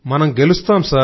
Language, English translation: Telugu, And we will win